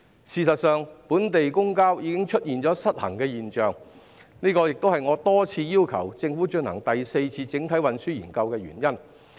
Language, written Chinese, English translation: Cantonese, 事實上，本地公共交通已經出現失衡現象，這亦是我多次要求政府進行第四次整體運輸研究的原因。, As a matter of fact an imbalance has arisen in local public transport which is the reason why I have repeatedly requested the Government to conduct the Fourth Comprehensive Transport Study